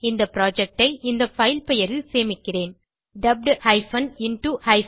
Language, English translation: Tamil, Let me save this project as this filename Dubbed into Hindi